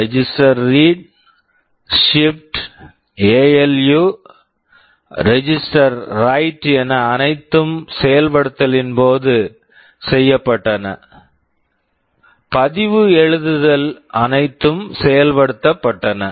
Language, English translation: Tamil, The register read, shift, ALU, register write everything was done in execute